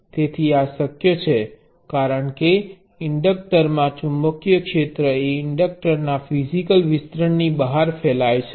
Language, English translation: Gujarati, So, this is possible because the magnetic field in an inductor can spread outside the physical extend of the inductor